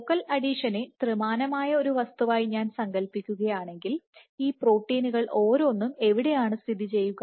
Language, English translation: Malayalam, So, if I were to imagine the focal adhesion as a 3D entity, where are each of these proteins present